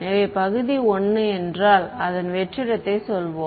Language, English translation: Tamil, So, if region 1 let us say its vacuum